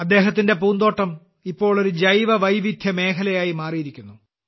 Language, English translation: Malayalam, His garden has now become a Biodiversity Zone